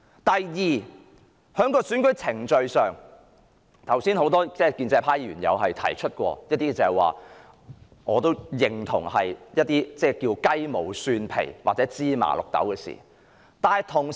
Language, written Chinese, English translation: Cantonese, 第二，有關選舉程序方面，很多建制派議員剛才也有提到一些我亦認同是雞毛蒜皮或芝麻綠豆的事。, Secondly concerning the electoral process just now many pro - establishment Members mentioned some issues which I agree are trivial in nature